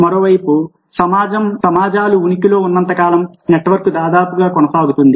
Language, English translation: Telugu, on the other hand, networking has gone on almost as long as societies themselves have existed